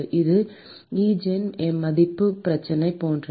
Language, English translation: Tamil, It is like an Eigen value problem